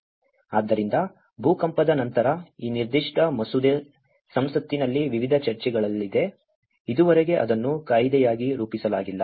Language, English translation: Kannada, So, this is where this after the earthquake, this particular bill has been in the parliament in various discussions, until now it has not been formulated as an act